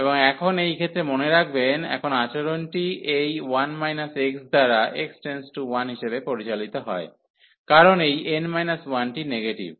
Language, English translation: Bengali, And now in this case remember; now the behavior is governed by this 1 minus x as x approaches to 1, because this n minus 1 is negative